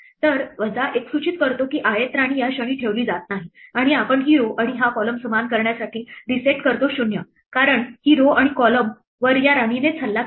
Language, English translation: Marathi, So, minus 1 indicates that the ith queen is not placed at this moment and we reset this row and this column to be equal to 0 because, this row and this column are attacked only by this queen